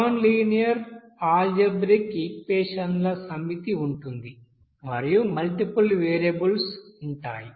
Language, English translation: Telugu, Now let us now consider the solving a set of nonlinear algebraic equations involving multiple variables